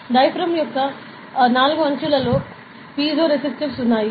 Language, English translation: Telugu, So, a diaphragm and in the four edges of the diaphragm there are piezoresistives